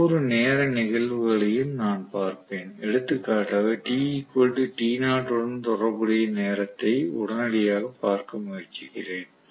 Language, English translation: Tamil, Let me look at each of the time instants, for example let me try to look at the time instant corresponding to t equal to t knot probably